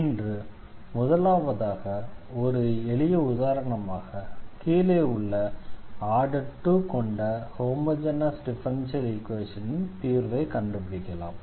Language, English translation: Tamil, So, that will be the general solution of the given homogeneous differential equation